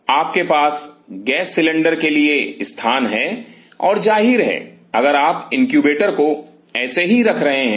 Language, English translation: Hindi, You have location for the gas cylinders and; obviously, if you are keeping the incubator like this